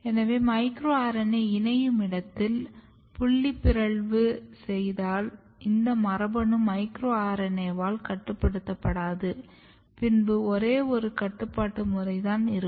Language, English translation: Tamil, So, if you create some kind of point mutation at the side of micro RNA binding, then what happens this gene no longer will regulated by micro RNA, then you can have only one regulation